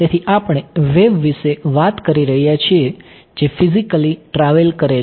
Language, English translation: Gujarati, So, so we are talking about the wave that is physically travelling ok